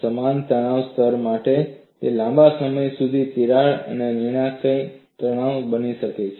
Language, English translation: Gujarati, For the same stress level, it becomes a critical stress for a longer crack